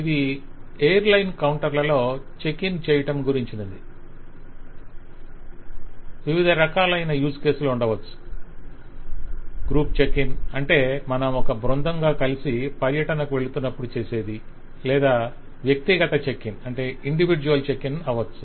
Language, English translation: Telugu, So this is kind of checking in at an airlines counter and the possibilities are it could be a group checking, that is, if you are going on a tour together, or you can do an individual checking